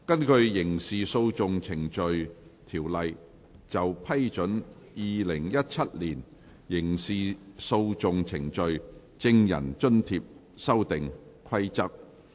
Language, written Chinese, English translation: Cantonese, 根據《刑事訴訟程序條例》就批准《2017年刑事訴訟程序規則》而動議的擬議決議案。, Proposed resolution under the Criminal Procedure Ordinance to approve the Criminal Procedure Amendment Rules 2017